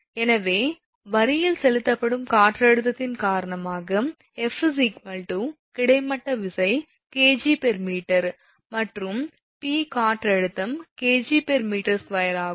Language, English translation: Tamil, Therefore your F is equal to horizontal force due to wind pressure exerted on line it is kg per meter, and p is equal to wind pressure kg per meter square